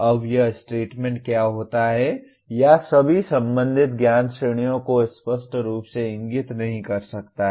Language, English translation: Hindi, Now what happens this statement may or may not explicitly indicate all the concerned knowledge categories